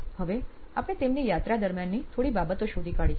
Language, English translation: Gujarati, So, now we have unearthed few things during her journey